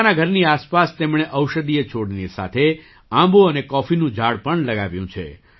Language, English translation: Gujarati, Along with medicinal plants, he has also planted mango and coffee trees around his house